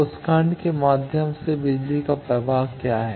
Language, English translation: Hindi, What is the power flow through that block